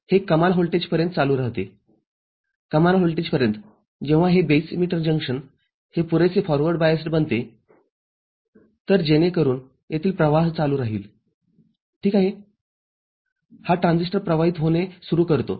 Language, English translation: Marathi, It continues up to a maximum voltage, up to a maximum voltage, when this base emitter junction becomes sufficiently forward biased; so, that this starts conducting ok, this transistor starts conducting